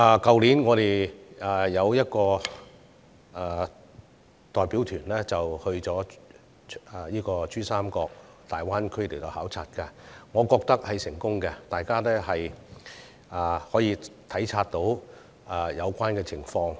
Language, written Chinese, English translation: Cantonese, 去年，我們有一個代表團到珠江三角洲的大灣區考察，我覺得很成功，因為議員可以體察到有關情況。, Last year we formed a delegation to visit the Greater Bay Area in the Pearl River Delta . I think this visit was very successful because Members could learn about local situation in person